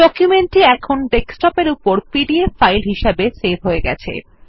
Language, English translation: Bengali, The document has now been saved as a pdf file on the desktop